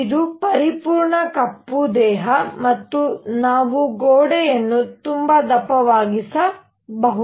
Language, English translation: Kannada, So, that it is a perfect black body and we can also make the walls very thick